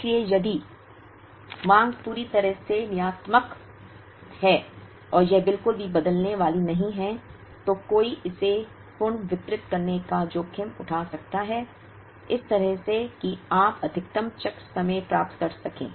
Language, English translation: Hindi, So, if the demand is purely deterministic and it is not going to change at all, then one can take the risk of redistributing it, in such a manner that you achieve maximum cycle time